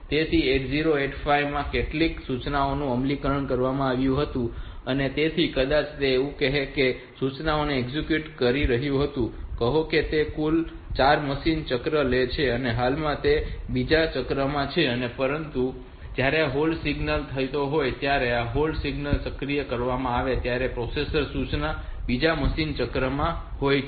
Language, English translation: Gujarati, So, 8085 processor it was executed some instruction so maybe it was executing say; instruction I, which takes a total of say 4 machine cycles and at present it is in the second machine cycle, when this hold has occurred when this hold signal has been activated the processor is in the second machine cycle of the instruction